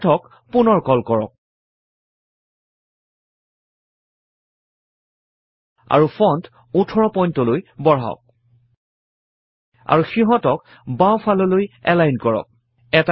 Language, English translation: Assamese, Call Math again and change the font to 18 point and align them to the left